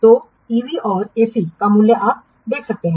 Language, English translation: Hindi, So what is the value of EV and AC you can see